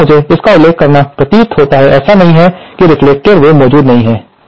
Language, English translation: Hindi, Now, here I must mention this appears to be, there is not that the reflected wave does not exist